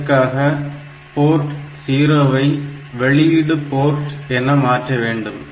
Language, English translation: Tamil, So, port P 1 has to be configured as input port